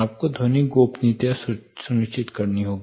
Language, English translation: Hindi, You will have to ensure acoustical privacy